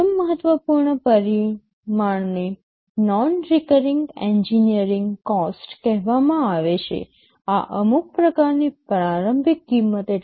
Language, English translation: Gujarati, First important parameter is called non recurring engineering cost, this is some kind of initial cost